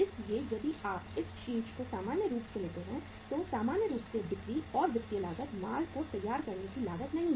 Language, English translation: Hindi, So if you take this head normally, normally see selling and financial cost is not the uh cost of finishing the goods